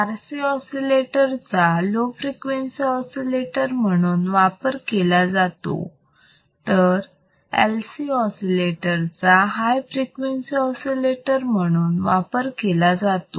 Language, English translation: Marathi, So, based on frequency if the low frequency oscillator generally it will be RC oscillators if the high frequency oscillators it would be LC oscillators